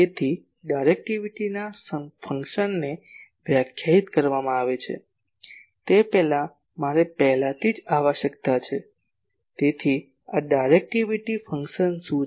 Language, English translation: Gujarati, So, directivity function is defined as before that I need to already , so what is or what is this directivity function